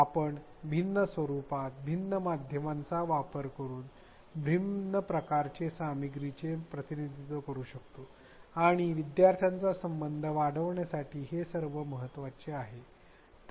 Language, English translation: Marathi, We can represent the content in different ways using different formats, different media and all this is important to enhance learner connect